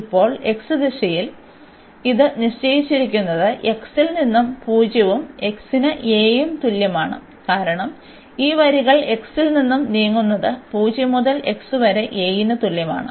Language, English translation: Malayalam, And now for the x direction it is fixed now from x is equal to 0 and to x is equal to a, because these lines move from x is equal to 0 to x is equal to a